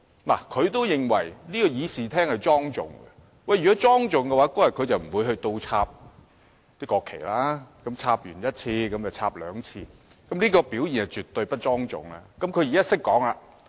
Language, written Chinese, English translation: Cantonese, "看，他也認為議事廳是莊重的，但如果是莊重的，他當日便不會倒轉擺放國旗了，並且一而再地倒轉擺放國旗，這種表現是絕對不莊重的。, Look he also thinks that the Chamber is solemn . However if it is solemn he should not have inverted the national flags and time and again for that matter . Such behaviour is absolutely improper